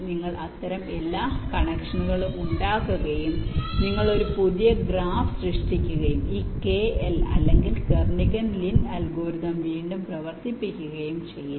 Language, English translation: Malayalam, this will also be connected to this, like this: you make all such connections, you make all such connections, you, you create a new graph and you run this scale or kernighan lin algorithm again on that